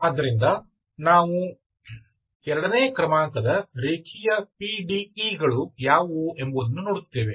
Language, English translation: Kannada, So we will see what is the second order, second order linear PDE’s